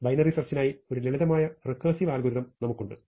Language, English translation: Malayalam, So, here is a simple recursive algorithm for binary search